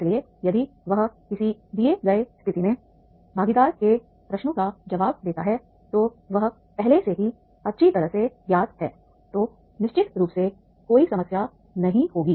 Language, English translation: Hindi, So if responding to the participant queries and in a given situation is already well known then definitely there will be no problem